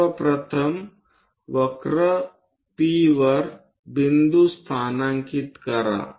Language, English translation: Marathi, First of all, locate the point on the curve P